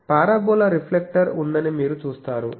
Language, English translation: Telugu, So, you see there is a parabola reflector